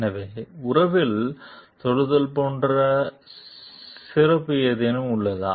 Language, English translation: Tamil, So, is there any special like touch in the relationship